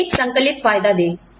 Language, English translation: Hindi, Give them an added benefit